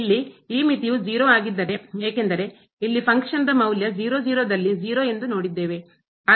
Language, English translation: Kannada, If this limit is 0 because the function value we have seen a 0 here at